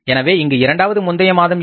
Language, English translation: Tamil, So, but is the second previous month here